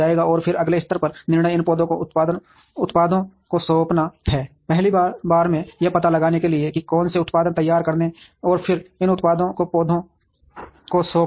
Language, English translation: Hindi, And then the next level decision is to assign products to these plants, at first, of course to find out which products to produce and then assign these products to the plants